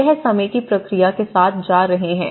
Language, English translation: Hindi, So, this is going with the time process of it